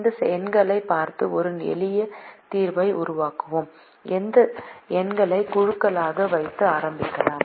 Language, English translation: Tamil, let us make a simple solution by looking at these numbers and start putting these numbers into groups